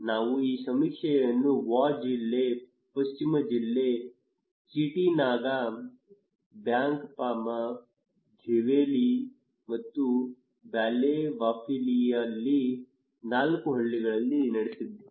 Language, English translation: Kannada, We conducted this survey in four villages in Wa district, West district, Chietanaga, Bankpama, Zowayeli and Baleowafili